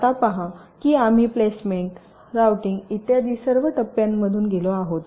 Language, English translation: Marathi, now, see, we have gone through all these steps of placement, routing, etcetera, etcetera